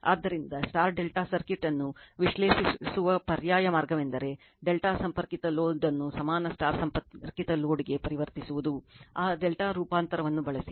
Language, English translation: Kannada, So, so an alternative way of analyzing star delta circuit is to transform the delta connected load to an equivalent star connected load, using that delta transformation